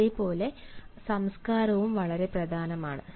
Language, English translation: Malayalam, and then the culture is also very important